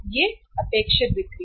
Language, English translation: Hindi, These are the expected sales